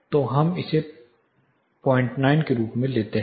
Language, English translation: Hindi, So, let us take it as 0